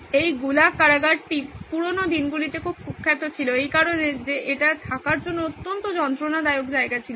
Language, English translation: Bengali, This was the Gulag prison very infamous in the good old days for the fact that it was extremely torturous place to be in